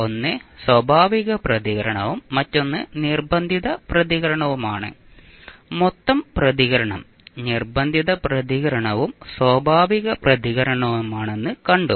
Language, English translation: Malayalam, 1 is natural response and another is forced response and we saw that the total response is the sum of force response as well as natural response